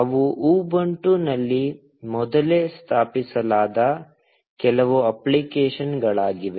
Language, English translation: Kannada, They are some applications that are preinstalled in Ubuntu